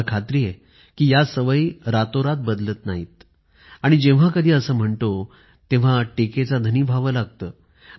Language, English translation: Marathi, I know that these habits do not change overnight, and when we talk about it, we invite criticism